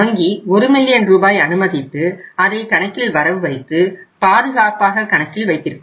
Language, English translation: Tamil, And a sum of Rs 1 million will be earmarked to that account, will be kept safe in that account